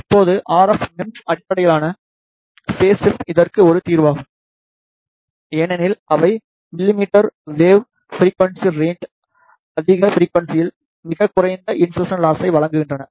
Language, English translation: Tamil, Now, the if RF MEMS based phase shifter is a solution to this because they provide very low insertion loss at higher frequency in millimeter wave frequency range